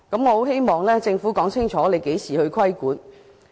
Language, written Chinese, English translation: Cantonese, 我希望政府會說清楚何時規管。, I hope the Government will state clearly when it will impose regulation